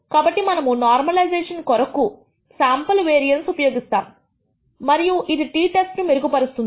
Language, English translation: Telugu, So, we use the sample variance for normalization and that gives rise to a t test